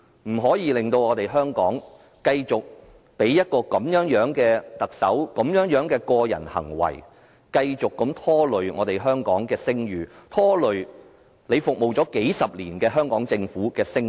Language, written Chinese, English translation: Cantonese, 我們不能夠繼續讓有這種個人行為的特首繼續拖累香港的聲譽，拖累司長服務了數十年的香港政府的聲譽。, We can no longer allow such a badly - behaved Chief Executive to continue to undermine Hong Kongs reputation and to undermine the reputation of the Hong Kong Government which the Chief Secretary has served for decades